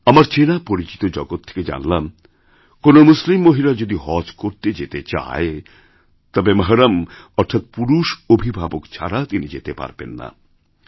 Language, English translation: Bengali, It has come to our notice that if a Muslim woman wants to go on Haj Pilgrimage, she must have a 'Mehram' or a male guardian, otherwise she cannot travel